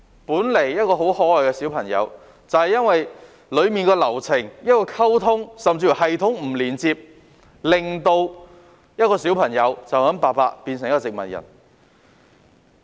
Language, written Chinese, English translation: Cantonese, 本來一個很可愛的小朋友，就是因為流程中的溝通甚至系統不連接，白白令到一個小朋友變成植物人。, An adorable kid has lapsed into a vegetative state because of a delay in blood transfusion during an operation which is indeed due to communication problems or even incompatible systems in the process